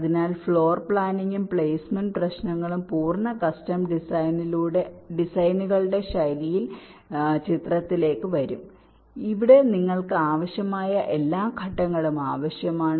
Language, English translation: Malayalam, so both floor planning and placement problems will come into the picture for the full custom designs style, and here you need all the steps that are required